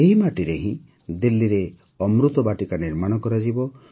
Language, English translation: Odia, Amrit Vatika will be built in Delhi from this soil only